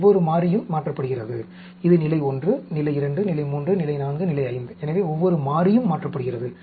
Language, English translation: Tamil, Each variable is changed from, this is level 1, level 2, level 3, level 4, level 5; so, each variable is changed